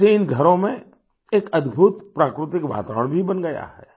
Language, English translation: Hindi, This has led to creating a wonderful natural environment in the houses